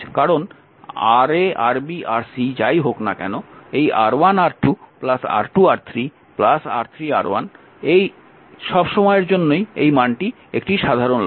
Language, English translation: Bengali, So, when you take R 1 R once Ra, Ra should be get this R 1 R 2 R 2 R 3 R 3 R 1 this is common divided by R 1